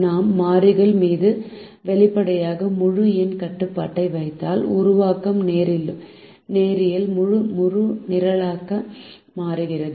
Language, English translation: Tamil, if we put explicit integer restriction on the variables then the formulation become linear integer programming